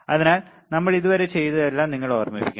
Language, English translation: Malayalam, So, that you kind of recall whatever we have done till now all right